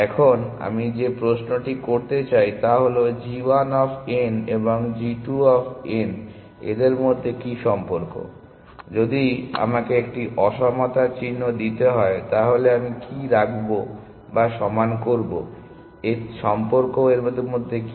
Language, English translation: Bengali, Now the question I want to ask is what is the relation between g 1 of n and g 2 of n this g 1 this g 2 of n and g 1 of n; if I have if I have to put a in equality what would I put or equal to what is relation between this